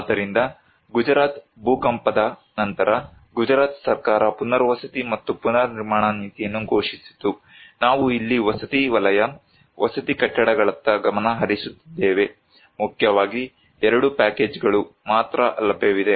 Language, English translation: Kannada, So, after the Gujarat earthquake, the Gujarat Government declared rehabilitation and reconstruction policy, we are focusing here at the housing sector, residential buildings, there were mainly 2 packages were available